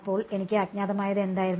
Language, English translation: Malayalam, So, what were my unknowns